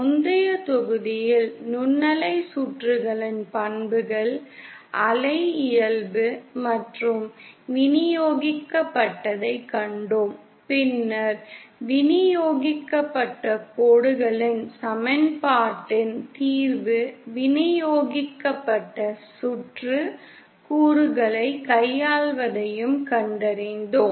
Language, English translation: Tamil, In the previous module, we saw the properties of microwave circuits, the wave nature and the distributed and then we also found the solution of transmission lines equation is for dealing with distributed circuit elements